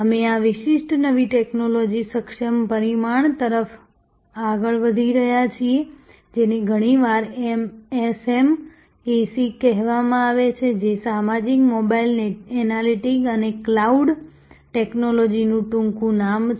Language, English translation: Gujarati, We are moving to this particular new technology enabled dimension, which is often called SMAC it is the acronym for social, mobile, analytics and cloud technologies